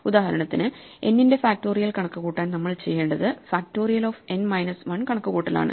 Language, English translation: Malayalam, So, for instance, to compute factorial of n, one of the things we need to do is compute factorial of n minus 1